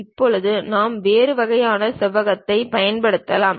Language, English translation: Tamil, Now, we can use some other kind of rectangle